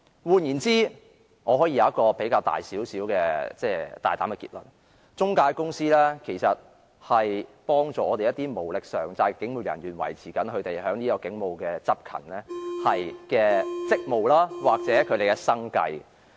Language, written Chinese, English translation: Cantonese, 換言之，我可以作出一個較大膽的結論，也就是中介公司其實是幫助了一些無力償債的警務人員維持其警務執勤的職務或生計。, In other words I can draw a quite audacious conclusion and that is the intermediaries are in fact helping some police officers with unmanageable debts to continuously discharge their policing duties or make a living